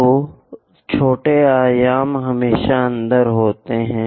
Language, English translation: Hindi, So, smaller dimensions are always be inside